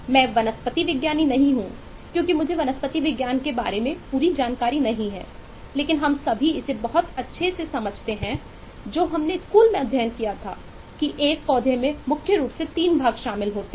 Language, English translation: Hindi, am not a botanist, um exactly, I don’t expect whole lot of knowledge of botany, but all of us understand this much, which we studied in school, that a plant comprise of primarily few parts